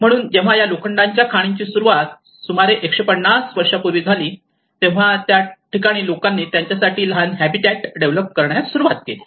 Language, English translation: Marathi, So when this iron ore have started just 150 years before and that is where people started developing a small habitat for them